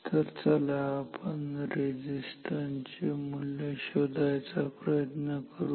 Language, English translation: Marathi, Now, let us find out what should be the values of these three resistances ok